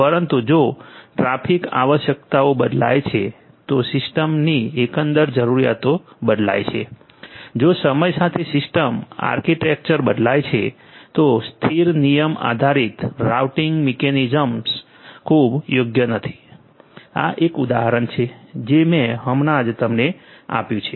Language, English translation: Gujarati, But if the traffic requirements change, if the overall requirements of the system changes, if the system architecture changes over time, then static rule based routing mechanisms are not very suitable this is just an example that I just gave you